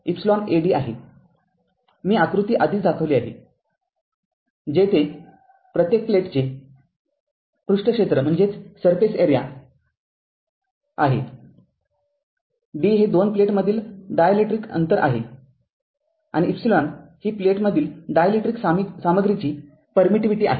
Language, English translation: Marathi, Where A is the surface area of each plate, d is the dielectric distance between two your distance between two plates right and an epsilon the permittivity of the dielectric material between the plates right